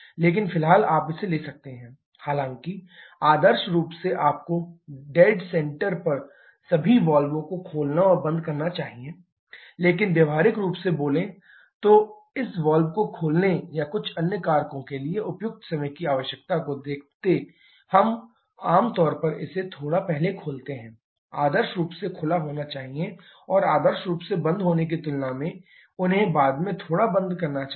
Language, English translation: Hindi, But for the moment you can take that though ideally you should open and close all the valves at the dead centres, but practical speaking considering the finite time requirement for this valves opening and a few other factors, we generally open this was a bit earlier were there ideally should open and also close them a bit later than ideally it should close